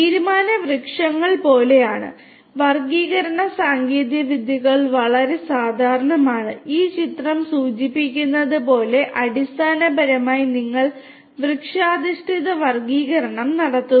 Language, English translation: Malayalam, For classification techniques such as decision trees are quite common and decision trees basically you are you know as this figure suggests over here you are running some kind of a tree based classification